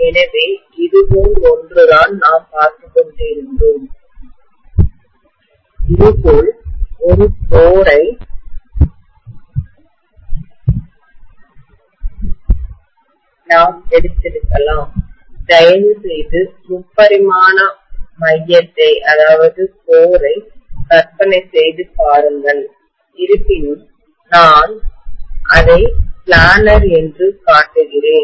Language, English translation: Tamil, So what we were looking at is something like this, maybe, we took a core like this, please imagine the three dimensional core although I am showing it as though it is planar